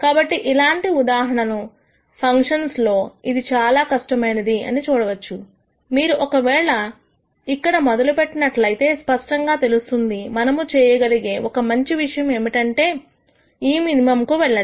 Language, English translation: Telugu, So, you can see how hard it can become in case of functions like this, where if you if you let us say, you start from here, then clearly you know one of the good things to do would be to go to this minimum